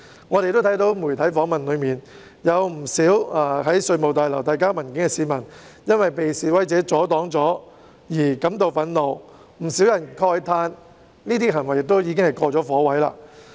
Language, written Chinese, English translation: Cantonese, 我們從媒體訪問看到，不少到稅務大樓遞交文件的市民因為被示威者阻擋而感到憤怒，亦有不少人慨歎這些行為已屬"過火"。, We can see from media interviews that people who went to the Revenue Tower to submit documents were angry for being blocked by the protesters . Many people have also lamented that the protesters have gone too far in their actions